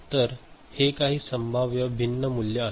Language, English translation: Marathi, So, these are the different possible values